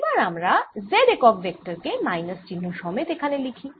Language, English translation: Bengali, so let us put z unit vector with the minus sign here